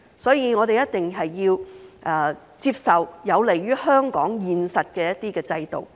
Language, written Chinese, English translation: Cantonese, 所以，我們一定要接受有利於香港現實的一些制度。, Therefore we must accept institutions that are conducive to the reality of Hong Kong